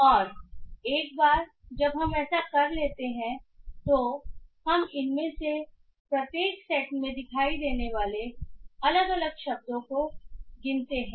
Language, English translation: Hindi, And once we do that what we do is that we count the number of individual words that is appearing in each of these sets